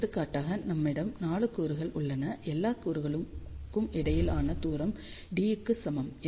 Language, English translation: Tamil, So, 4 example here, we have 4 elements distance between all the elements is equal to d